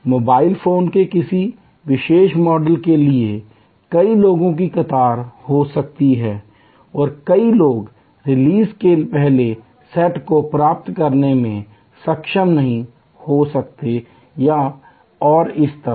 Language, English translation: Hindi, For a particular model of mobile phone, there may be many people may be queuing up and many, many people may not be able to get the first set of release and so on